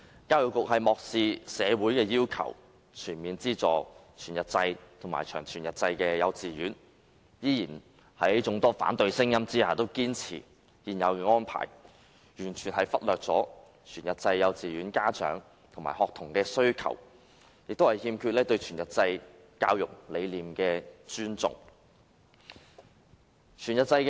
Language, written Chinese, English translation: Cantonese, 教育局漠視社會要求，未有全面資助全日制及長全日制幼稚園，在眾多反對聲音下仍堅持現有安排，完全忽略全日制幼稚園家長及學童的需求，對全日制教育理念亦有欠尊重。, The Education Bureau has ignored the demands of society and failed to give full subsidies to whole - day kindergartens and long whole - day kindergartens . Despite many dissenting voices the Education Bureau insists on the current arrangement and completely disregards the needs of parents and students of whole - day kindergartens